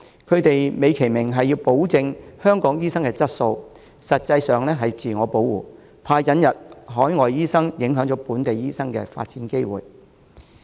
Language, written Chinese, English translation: Cantonese, 他們美其名是保證香港醫生的質素，實際是自我保護，擔心引入海外醫生影響本地醫生的發展機會。, They give the fine - sounding reason of assuring the quality of local doctors but are actually protecting themselves for fear that the imported overseas doctors will affect the development opportunities of local doctors